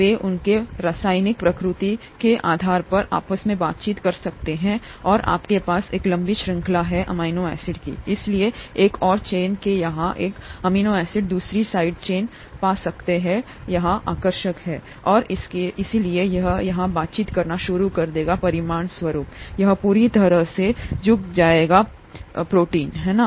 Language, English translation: Hindi, They could interact with each other depending on their chemical nature and you have a long chain of amino acids, so one amino acid here on one side chain could find another side chain attractive here, and therefore it will start interacting here as a result it will bend the entire protein here, right